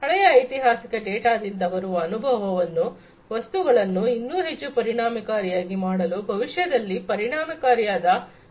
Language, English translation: Kannada, The experience that is generated from this previous historical data to make things much more efficient, to make processes efficient in the future